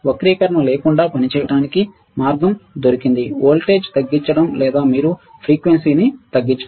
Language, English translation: Telugu, To operate the without distortion the way is to lower the voltage or lower the frequency you got it